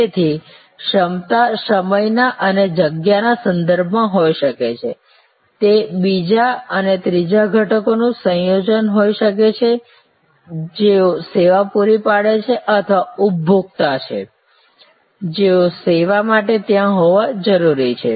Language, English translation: Gujarati, So, capacity can be in terms of time, capacity can be in terms of space, it can be a combination of the two and the third element people who provide the service or consumers, who needs to be there for the service to happen